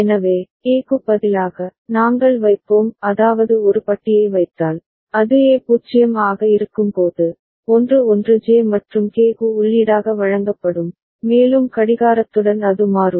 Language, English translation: Tamil, So, instead of A, we’ll put if we put A bar that means, that will make whenever A is 0, 1 1 fed as the input to J and K, and with the clock it will toggle